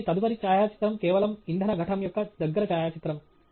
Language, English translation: Telugu, So, in the next photograph is simply a close up of the fuel cell